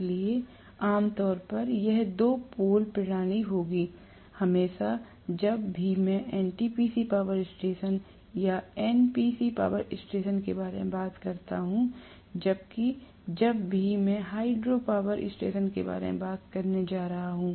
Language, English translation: Hindi, So, generally, this will be two poles system, always when I talk about NTPC power station or NPC power station, whereas whenever I am going to talk about hydropower station